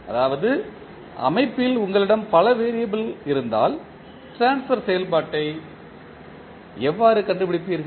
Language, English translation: Tamil, That means if you have multiple variable in the system, how you will find out the transfer function